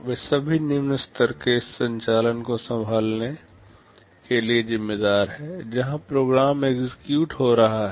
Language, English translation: Hindi, They are responsible for handling all low level operations while the program is getting executed